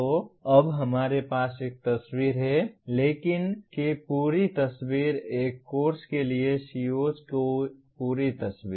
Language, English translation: Hindi, So now we have a picture, a complete picture of writing, a complete picture of COs for a course